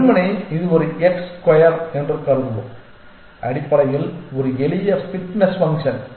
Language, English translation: Tamil, And just simply let us assume it is a x square essentially a simple fitness function essentially